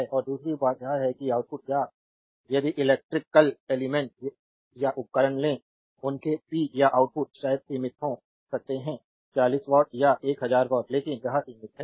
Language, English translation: Hindi, And second thing is that output or if you take an electrical elements or devices; their power output is maybe limited maybe 40 watt maybe 1000 watt, but it is limited right